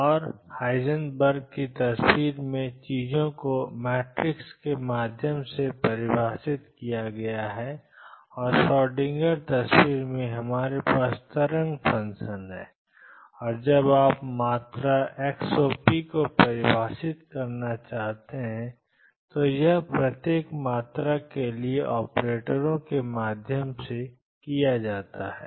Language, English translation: Hindi, And in Heisenberg’s picture things are defined through matrices, and in the Schrödinger picture we have the wave function and when you want to define a quantity xop it is done through operators for each quantity